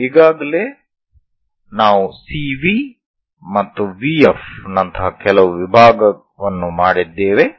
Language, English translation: Kannada, So, already we have made some division like CV and VF